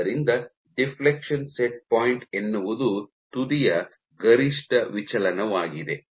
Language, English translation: Kannada, So, deflection set point is the maximum amount of deflection of the tip